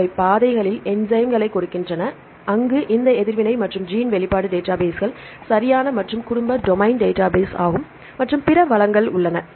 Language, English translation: Tamil, They give the enzyme in pathways, where they have this reaction and gene expression databases right and family domain database and as well as the other resources, for example, the drug bank and other resources